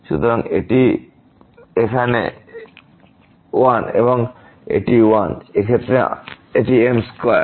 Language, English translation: Bengali, So, this is 1 here, this is 1 and in this case it is a there as square